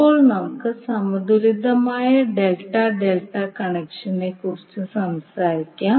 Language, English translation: Malayalam, Now let us talk about the balanced Delta Delta Connection